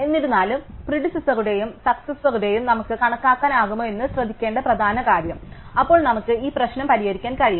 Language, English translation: Malayalam, However, the important thing to notice if we could compute predecessor and successor, then we can solve this problem